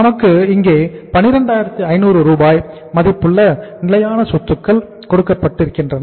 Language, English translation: Tamil, 125,000 worth of rupees fixed assets are given to us